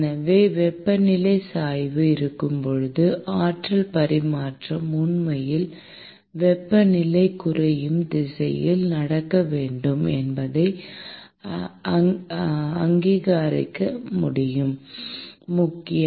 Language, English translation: Tamil, So, it is important to recognize that when there is a temperature gradient, the energy transfer must actually happen in the direction of the decreasing temperature